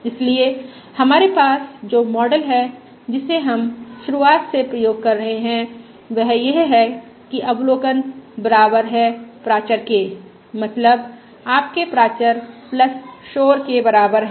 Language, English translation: Hindi, So the model that we have, which we are going to employ throughout is that the observation equals parameter, that is, your parameter plus noise